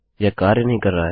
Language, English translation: Hindi, Its not working